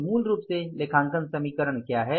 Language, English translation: Hindi, So, basically what is accounting equation